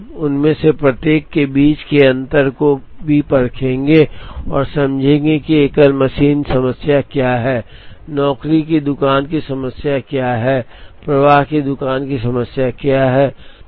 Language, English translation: Hindi, Now, we will also try and understand the difference between each of them, what is the single machine problem, what is a job shop problem, what is the flow shop problem